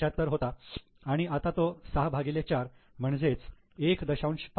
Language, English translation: Marathi, 75, now it has become 6 by 4, that is 1